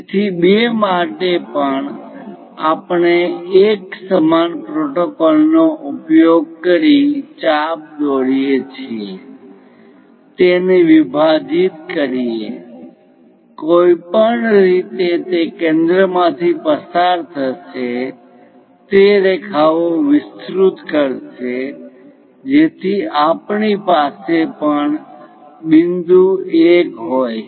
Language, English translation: Gujarati, So, for 2 also we use similar protocol make an arc, divide it, anyway it will pass through the centre extend that lines so that we have point 1 also